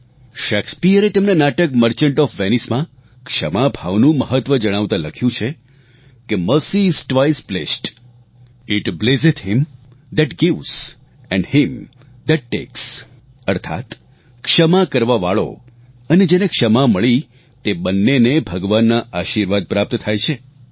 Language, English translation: Gujarati, Shakespeare in his play, "The Merchant of Venice", while explaining the importance of forgiveness, has written, "Mercy is twice blest, It blesseth him that gives and him that takes," meaning, the forgiver and the forgiven both stand to receive divine blessing